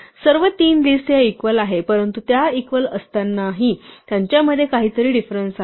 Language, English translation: Marathi, All three lists are equal, but there is a difference in the way that they are equal